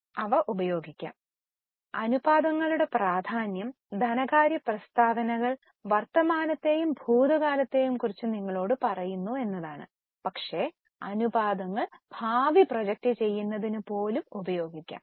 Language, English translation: Malayalam, Now the importance of ratios is that the financial statements tell you about the present and the past but the ratios can be used even to project the future